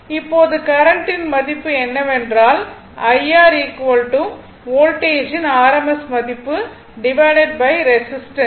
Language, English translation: Tamil, Now, rms value of the current is that I R is equal to rms value of voltage by the resistance right